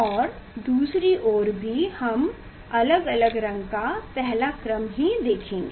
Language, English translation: Hindi, And side also we will see the first order of different color